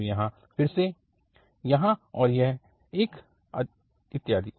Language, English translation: Hindi, So here again, here and this one and so on